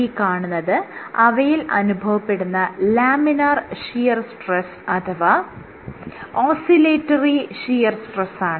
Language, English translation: Malayalam, This is laminar shear stress or oscillatory shear stress and what they found was under laminar conditions